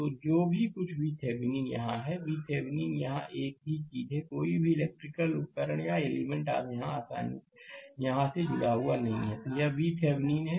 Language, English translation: Hindi, So, whatever V Thevenin is here, V Thevenin is here same thing no electrical your devices or element is connected here, right